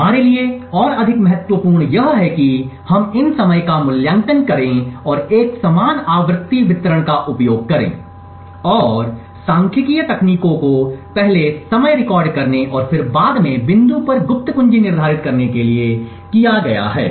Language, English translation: Hindi, More important for us is that we evaluate these timings and use a similar frequency distribution and statistical techniques has been done previously to record the timing and then at a later point determine the secret key